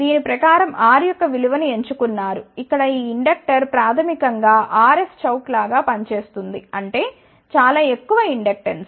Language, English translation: Telugu, Accordingly chose the value of the R, this inductor here basically is acting more like a chock that means very high inductance